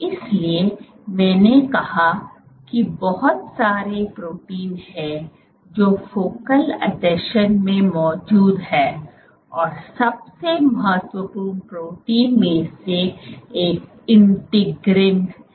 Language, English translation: Hindi, So, there are lots of proteins which are present in focal adhesions and so one of the most important proteins is integrin